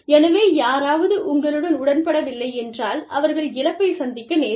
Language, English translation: Tamil, So, if somebody disagrees with you, they can lose